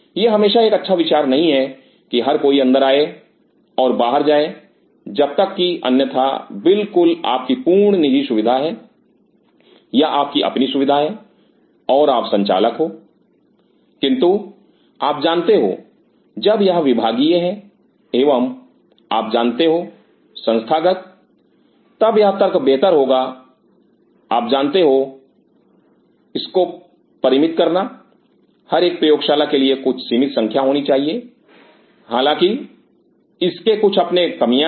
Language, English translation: Hindi, It is not always a very good idea that everybody gets in and gets out unless otherwise this is your absolute private facility, this is your own facility and you are the boss, but when it comes to you know departmental and you know institute then it is better to idea you know restrict every lab should have some restricted numbers which has its own drawbacks though